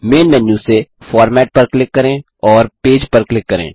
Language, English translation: Hindi, From the Main menu, click on Format and click Page